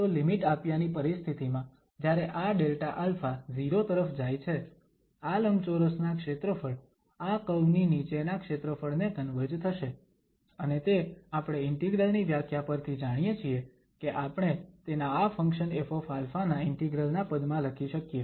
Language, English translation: Gujarati, So, in the limiting situation when this Delta alpha goes to 0, this area of these rectangles will converge to the area under this curve and which we know from the definition of the integrals that we can write down then in terms of the integral of this function F alpha d alpha